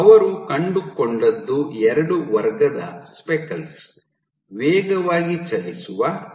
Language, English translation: Kannada, And what they found was there are two classes of speckles fast moving and short living